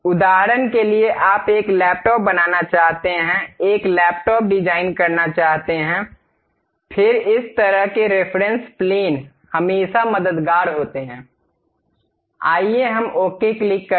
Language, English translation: Hindi, For example, you want to make a laptop, design a laptop; then this kind of reference planes always be helpful, let us click ok